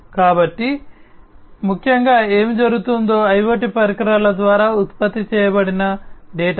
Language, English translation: Telugu, So, essentially what is happening is the data that is generated by the IoT devices